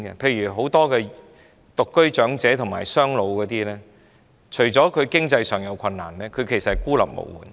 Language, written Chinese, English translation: Cantonese, 例如很多獨居長者及"雙老"家庭，除了經濟困難外，事實上亦孤立無援。, For example apart from financial difficulties many singleton elderly living alone or families of elderly doubletons are really isolated and helpless